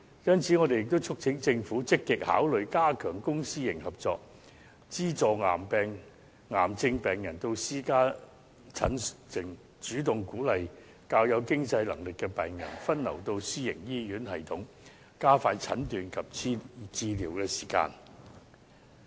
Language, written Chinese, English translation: Cantonese, 因此，我們也促請政府積極考慮加強公私營合作，資助癌症病人到私家診所診症，主動鼓勵較有經濟能力的病人分流到私營醫院系統，加快診斷及治療時間。, For this reason we also urge the Government to actively consider enhancing public - private partnership subsidizing cancer patients to seek consultation in private clinics and proactively encouraging diversion of better - off patients to the private health care system to expedite diagnosis and treatment